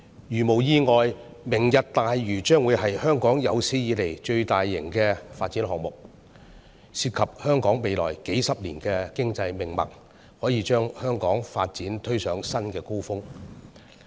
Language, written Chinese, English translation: Cantonese, 如無意外，"明日大嶼"將會是香港有史以來最大型的發展項目，涉及香港未來數十年的經濟命脈，可以把香港發展推上新的高峰。, Barring the unexpected Lantau Tomorrow will be the largest development project in Hong Kongs history offering an economic lifeline that can elevate Hong Kong to new heights of development in the coming decades